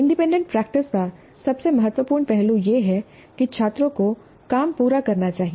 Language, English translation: Hindi, Now the most important aspect of the independent practice is that students must complete the work